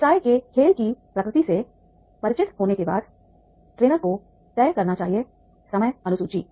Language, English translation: Hindi, After becoming familiar with the nature of business game, the trainer should decide the time schedule